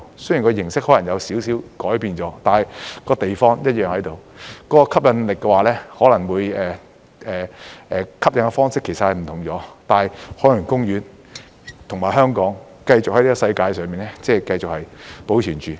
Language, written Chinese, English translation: Cantonese, 雖然形式可能有少許改變，但地方一樣在，吸引訪客的方式是不同了，但海洋公園和香港會繼續在這個世界上保存着。, There may be some slight changes in the mode of operation but the place is still the same . The ways to attract visitors will be different but Ocean Park and Hong Kong will continue to exist in the world